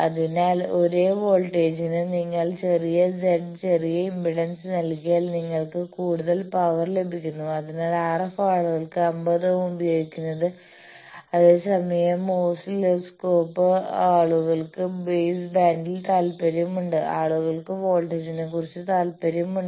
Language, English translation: Malayalam, So, for a same voltage, if you give smaller z smaller impedance you get more power that is why the RF people uses 50 ohm whereas, oscilloscope people they are interested in baseband, people are interested about the voltage